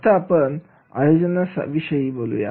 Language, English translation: Marathi, Now, we will go for the organizing